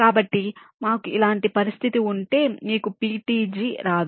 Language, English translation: Telugu, so if we have a situation like this, you do not get a ptg